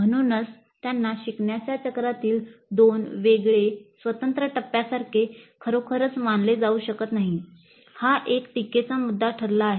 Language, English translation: Marathi, So, they cannot be really considered as two distinct separate stages in the learning cycle